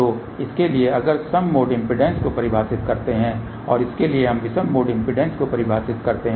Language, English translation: Hindi, So, for this if we define even mode impedance and for this we define odd mode impedance